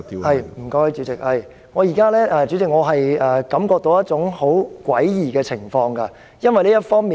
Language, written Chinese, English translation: Cantonese, 主席，我感覺到現在有一種很詭異的情況，為何詭異呢？, President I feel that currently there is this most bizarre situation . Why is it bizarre?